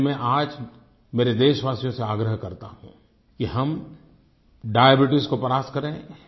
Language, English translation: Hindi, So I call upon all of you today to defeat Diabetes and free ourselves from Tuberculosis